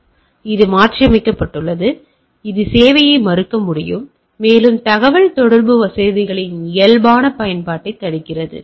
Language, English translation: Tamil, So, it is modified, it can be denial of service, prevents the normal use of the communication facilities